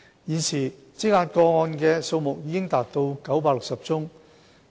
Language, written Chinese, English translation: Cantonese, 現時積壓個案的數目已達960宗。, The number of backlog cases has reached 960